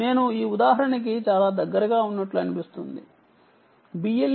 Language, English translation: Telugu, i just took the one that seems to be very close um to this example